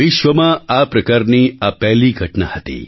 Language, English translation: Gujarati, This was a first of its kind event in the entire world